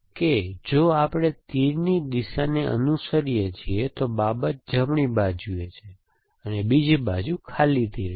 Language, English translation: Gujarati, That if we are following the direction of the arrow the matter is on the right side and the other side is blank arrows of whatever